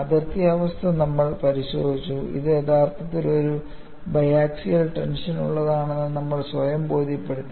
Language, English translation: Malayalam, We have looked at the boundary condition,condition; we have re convinced ourselves, that it is actually for a bi axial tension